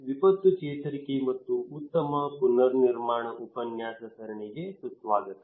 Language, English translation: Kannada, Welcome to disaster recovery and build back better lecture series